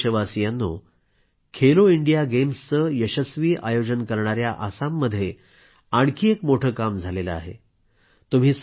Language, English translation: Marathi, My dear countrymen, Assam, which hosted the grand 'Khelo India' games successfully, was witness to another great achievement